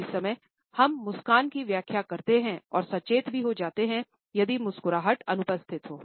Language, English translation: Hindi, At the same time, we interpret the smiles, and at the same time we also become conscious if the smiles are absent